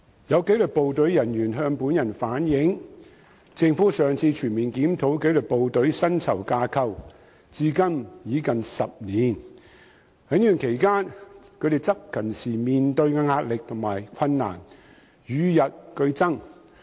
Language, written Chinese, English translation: Cantonese, 有紀律部隊人員向本人反映，政府上次全面檢討紀律部隊薪酬架構至今已近10年，而在這段期間，他們執勤時面對的壓力和困難與日俱增。, Some disciplined services staff have relayed to me that it has been nearly 10 years since the Government last conducted a comprehensive review of the salary structures of disciplined services and during this period the pressure and difficulties encountered by them when they discharge duties have grown day by day